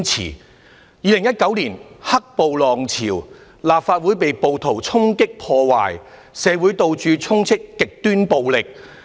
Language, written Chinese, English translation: Cantonese, 在2019年的"黑暴"浪潮，立法會被暴徒衝擊破壞，社會到處充斥極端暴力。, The Legislative Council was attacked during the black - clad violence in 2019 . This Council was stormed and sabotaged by rioters . Society was filled with extreme violence